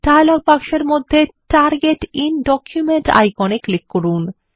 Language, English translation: Bengali, Click on the Target in document icon in the dialog box